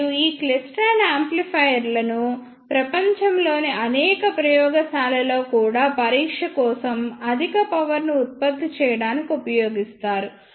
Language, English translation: Telugu, And these klystron amplifiers are also used in many labs in the world to generate high powers for testing